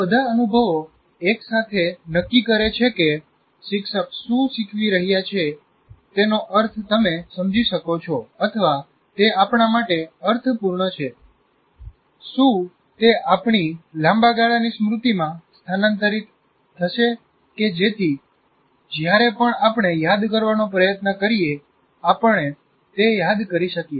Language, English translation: Gujarati, And all these experiences together decide whether we are, whatever word that you want to use, whether you can make sense of what the teacher is teaching, or it is meaningful to us, whether it will be transferred to our long term memory so that we can recall whenever we want, we remember the process